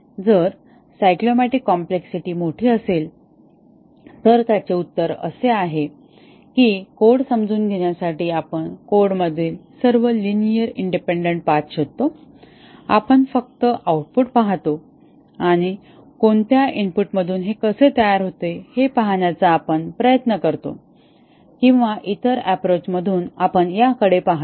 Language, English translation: Marathi, If the cyclomatic complexity is large the answer is that to understand a code, we actually trace all the linearly independents paths in the code, we just look at the output and try to see how which inputs produce these or in other approach we look at the input and see what is the output produced in both these types of understanding of the program